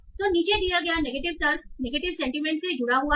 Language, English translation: Hindi, So, is negative, is logical negation associated with the negative sentiment